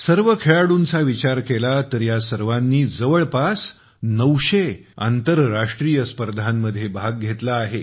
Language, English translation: Marathi, If we take all the players together, then all of them have participated in nearly nine hundred international competitions